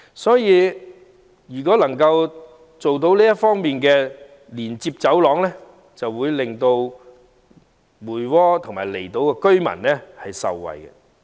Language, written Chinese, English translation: Cantonese, 因此，如果這條連接走廊得以落實興建，將可令梅窩和離島居民受惠。, Hence if the construction of this road link can be taken forward it will benefit residents of Mui Wo and the outlying islands